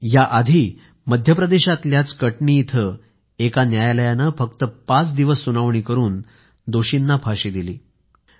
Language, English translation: Marathi, Earlier, a court in Katni in Madhya Pradesh awarded the death sentence to the guilty after a hearing of just five days